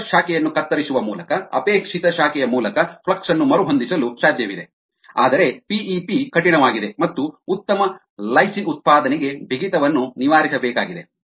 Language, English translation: Kannada, it is possible to reroute the flux through a desire branch by cutting off the other branch, whereas p e p is rigid and rigidity needs to be overcome for better lysine production